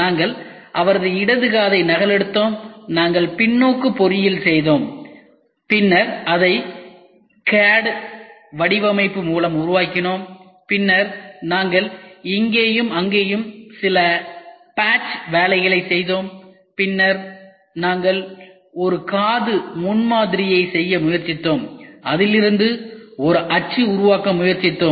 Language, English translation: Tamil, So, what we did was we copied his left ear and he has lost his right ear, we copied his left ear and We did Reverse Engineering then we developed it by cad model, then we did some patch work here and there and then what we did was, we tried to make a prototype of it then we try to make a mould out of it and from that mould we made a final component and then we have today given it to him and said that please use this ear